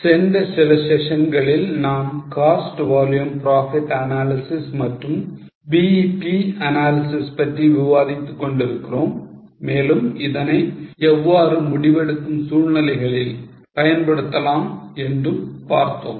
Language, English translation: Tamil, In last few sessions, we are discussing cost volume profit analysis then BP analysis and how it can be applied in various decision making scenarios